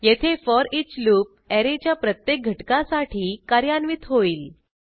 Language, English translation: Marathi, Here, foreach loop will be executed for each element of an array